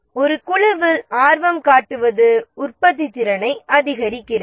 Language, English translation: Tamil, Simply showing an interest in a group increased it productivity